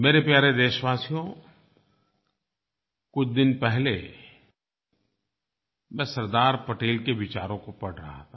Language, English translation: Hindi, My dear countrymen, I was trying to understand the thought process of Sardar Patel a few days ago when some of his ideas grabbed my attention